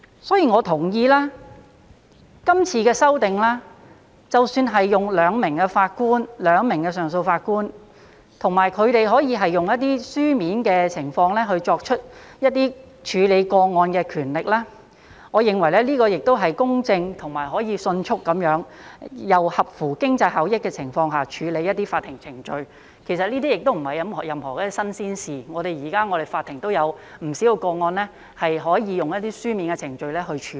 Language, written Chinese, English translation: Cantonese, 因此，我同意今次的修訂，即使是用2名上訴法官，以及他們可以用書面作出處理個案的權力，我認為這亦是公正的，可以迅速並在合乎經濟效益的情況下處理一些法庭程序，其實這些亦不是甚麼新鮮事物，現時我們的法庭也有不少個案可以用書面程序來處理。, For that reason I agree with the amendments this time around that is the proposed two - Judge bench of the CA and that they can exercise their judicial power to dispose of cases before them on paper . I consider the proposal fair as it will enable judges to deal with some court procedures in a more cost - effective way . Actually it is nothing new